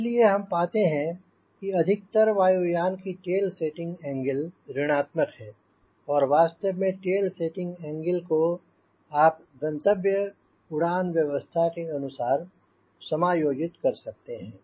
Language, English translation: Hindi, ok, so we will find most of the airplane is having tail setting angle negative and in fact you may adjust the tail setting angle depending upon what is the flight regime you are going to operate